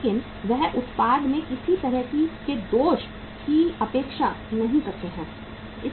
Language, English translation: Hindi, But he does not expect any even iota of the defect in the product